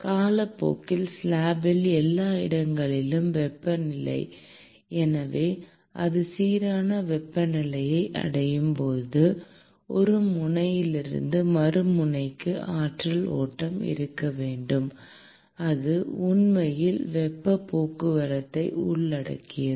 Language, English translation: Tamil, Over time the temperature everywhere in the slab, so when it reaches uniform temperature, then there has to be flow of energy from one end to the other end and that actually involves heat transport